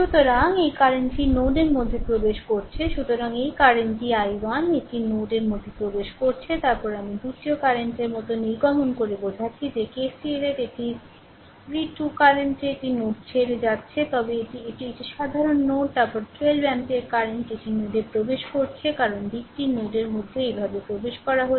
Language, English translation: Bengali, So, this i 1 current entering into the node so, this current is i 1 this is entering into the node, then i 2 current emitting like this the way we ah explain that KCL this is your i 2 current it is leaving the node then this is a common node then 12 ampere current it is entering into the node because direction is this way entering into the node